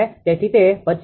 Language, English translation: Gujarati, So, it is coming 25